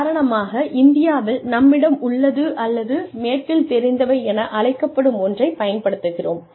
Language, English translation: Tamil, For example, in India, we have, or we use to have, use something called as, into know in the west